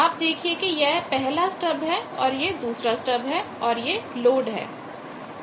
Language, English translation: Hindi, You can see that this is 1 stub this is another stub this is the load